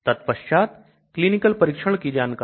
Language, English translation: Hindi, Then clinical trial details